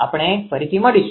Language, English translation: Gujarati, We will meet